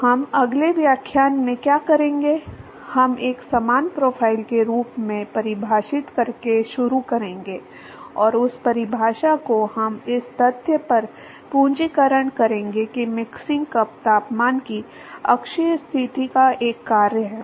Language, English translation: Hindi, So, what we will do in the next lecturer is, we will start by defining what is called as a similar profile, and that definition, we will capitalize on the fact that the mixing cup temperature is also a function of the axial position